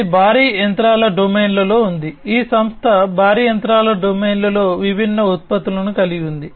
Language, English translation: Telugu, This is in the heavy machinery domain; this company has different products in the heavy machinery domain